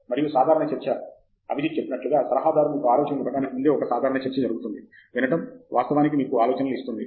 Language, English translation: Telugu, And simple discussion Like Abhijith said, a simple discussion will even before the advisor gives you ideas, just a listening ear will actually give you ideas